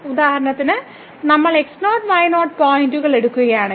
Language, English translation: Malayalam, And for example, if we take at x naught y naught points